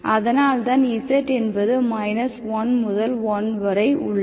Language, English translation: Tamil, What is z, z is between 1 to 1